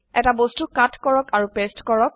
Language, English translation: Assamese, Cut an object and paste it